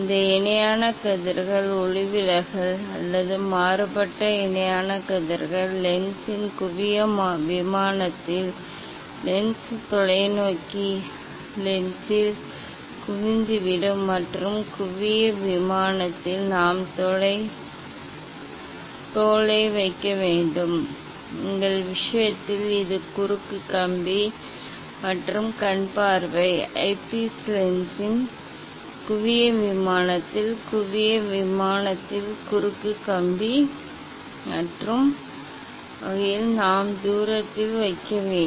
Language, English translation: Tamil, this parallel rays refracted or diffracted parallel rays will converged at the focal plane of the of the lens, of the lens telescope lens and at the focal plane we have to place the skin, in our case this is the cross wire, And the eyepiece, we have to place at the at a distance in such a way that the cross wire will be at the focal plane of the focal plane of the eyepiece lens